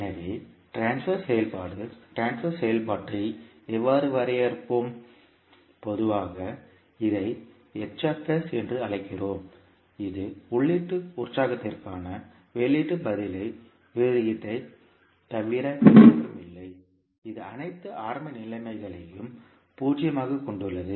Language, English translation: Tamil, So, how we will define the transfer function transfer function, we generally call it as H s, which is nothing but the ratio of output response to the input excitation with all initial conditions as zero